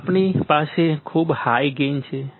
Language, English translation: Gujarati, Then we have very high gain, very high gain